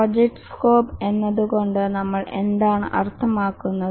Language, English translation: Malayalam, And what do we mean by project scope